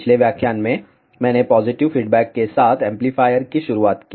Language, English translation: Hindi, In the previous lecture, I started with amplifier with positive feedback